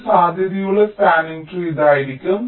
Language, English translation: Malayalam, one possible spanning tree can be